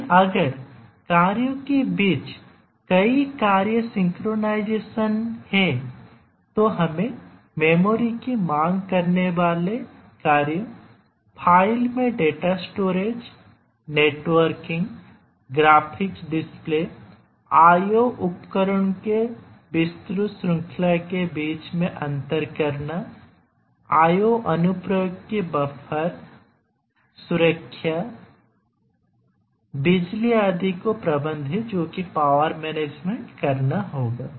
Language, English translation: Hindi, But then if there are multiple tasks synchronization among the tasks you need to manage the memory, like memory demanding tasks, we need to store data in file, we need to network to other devices, we need graphics displays, we need to interface with a wide range of IO devices, we need to have buffering of the IO applications, security, power management, etcetera